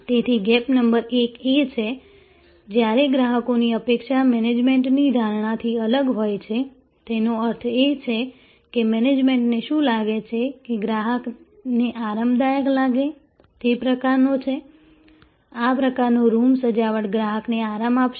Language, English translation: Gujarati, So, gap number 1 is when customers expectation differs from the management perception; that means, what the management feels is that, this is the kind of where the customer will find comfortable, this is the kind of room decor which will give customer comfort